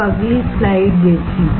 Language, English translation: Hindi, Now, let us see the next slide